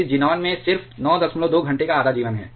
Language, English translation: Hindi, This xenon has a half life of just 9